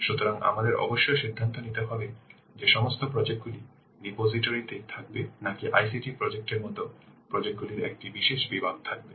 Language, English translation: Bengali, So we must also decide whether to have all the projects in the repository or only a special category of projects like as ICT projects